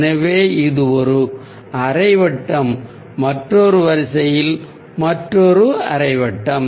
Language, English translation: Tamil, so it's a half circle, another half circle in a different order